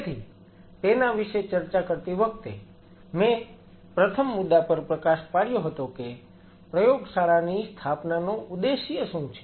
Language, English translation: Gujarati, So, while talking about it I highlighted upon the first point is, what is the objective of setting up the lab